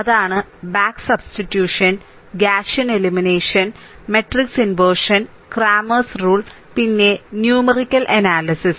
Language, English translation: Malayalam, That is your back substitution ah, Gaussian elimination, matrix inversion, cramers rule and numerical analysis